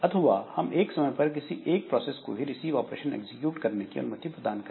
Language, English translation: Hindi, Or we can allow only one process at a time to execute a receive operation